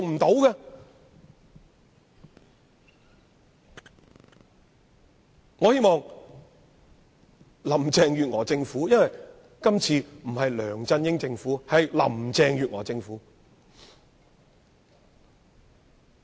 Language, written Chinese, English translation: Cantonese, 現屆政府不再是梁振英政府，而是林鄭月娥政府。, The current - term Government is not the LEUNG Chun - ying Government; instead it is the Carrie LAM Government